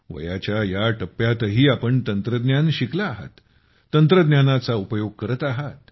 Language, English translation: Marathi, Even at this stage of age, you have learned technology, you use technology